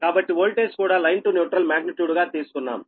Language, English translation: Telugu, so that is why it is also voltage to be taken as line to neutral magnitude, right